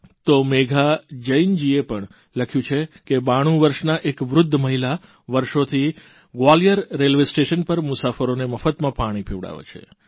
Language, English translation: Gujarati, Whereas Megha Jain has mentioned that a 92 year old woman has been offering free drinking water to passengers at Gwalior Railway Station